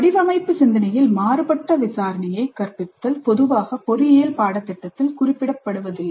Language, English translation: Tamil, Teaching divergent inquiry in design thinking is generally not addressed in engineering curricula